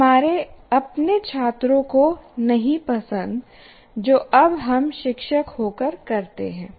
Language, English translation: Hindi, Our own students are not likely to appreciate what we do now as teachers